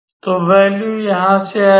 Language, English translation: Hindi, So, the value will come from here